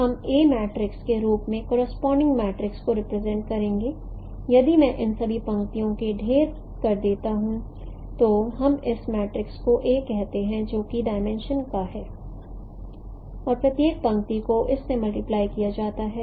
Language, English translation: Hindi, So we will represent the corresponding matrix as A, this matrix, if I stack all these rows, then we call this matrix as A which is of dimension to n cross 12